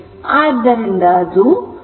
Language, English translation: Kannada, So, it will be 2